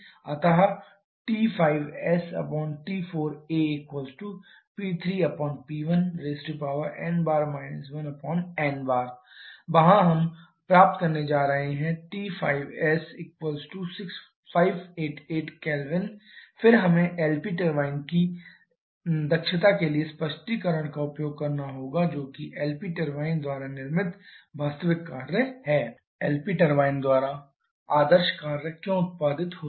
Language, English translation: Hindi, So, T 5s divided by T 4a should be equal to P 3 upon T 1 to the power n bar 1 upon n bar from there we are going to get T 5s which will be coming to be equal to 588 Kelvin then we have to use the explanation for the Eta LP turbine which is the actual work produced by the LP turbine why the ideal work produced by the LP turbine